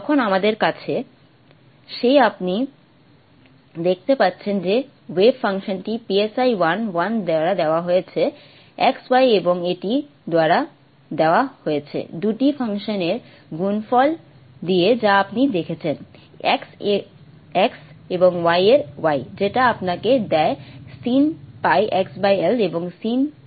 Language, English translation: Bengali, You can see that the way function is given by si 1 1 x comma y and is given by the product of the two functions that you saw the x of x and y of y which gives you sine pi x by l and sine pi y by l